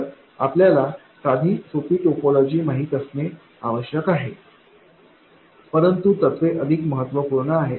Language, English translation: Marathi, So you need to know the simple topologies but the principles are more important